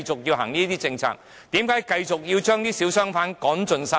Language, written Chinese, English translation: Cantonese, 為何要繼續將小商販趕盡殺絕？, Why should small businesses and small traders be eliminated?